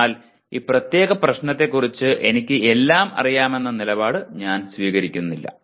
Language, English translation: Malayalam, But I do not take a position I know everything about this particular problem